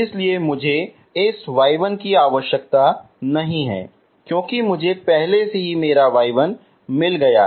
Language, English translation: Hindi, So I do not need this y 1 because I already got my y 1, okay